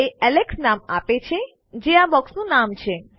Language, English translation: Gujarati, It is giving my name, which is the name of this box here